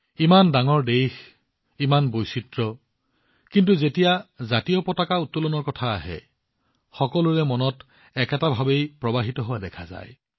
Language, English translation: Assamese, Such a big country, so many diversities, but when it came to hoisting the tricolor, everyone seemed to flow in the same spirit